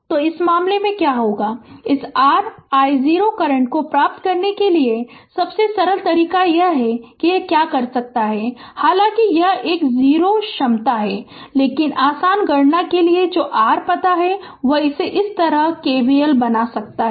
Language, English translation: Hindi, So, in this case, what what will happen that ah to get this your i 0 current then ah simplest way what you can do is this is ah although this is a 0 potential, but what your you know for easy calculation say we can make it KVL like this